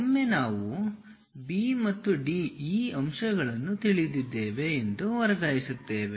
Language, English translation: Kannada, Once we transfer that we know these points B and D